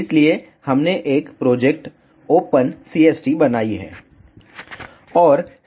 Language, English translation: Hindi, So, we have created a project open CST